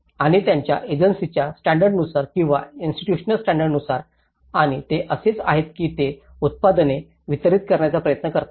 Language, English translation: Marathi, And as per their agency standards or the institutional standards and that is how they try to deliver the products